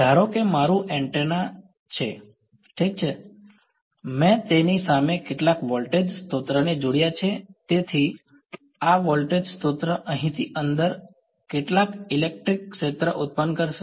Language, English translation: Gujarati, Supposing this is my antenna ok, I have connected some voltage source across it, so this voltage source is going to produce some electric field inside over here right